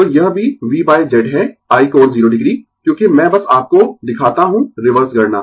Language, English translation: Hindi, So, this is also V by Z is i angle 0 degree, because I just show you the reverse calculation